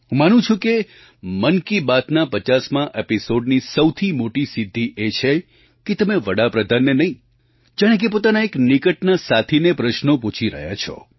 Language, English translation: Gujarati, I believe that the biggest achievement of the 50 episodes of Mann Ki Baat is that one feels like talking to a close acquaintance and not to the Prime Minister, and this is true democracy